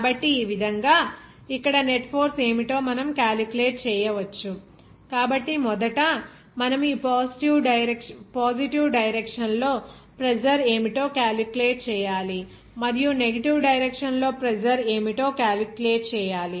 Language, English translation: Telugu, So, in this way, we can calculate what should be the net force here, only that you have to calculate first in this positive direction what would be the pressure and in the negative direction in the same way what should be the pressure there